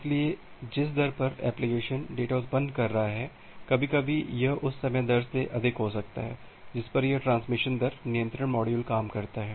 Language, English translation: Hindi, So, at whatever rate the application is generating the data, some time it may be higher than the rate at which this transmission rate control module works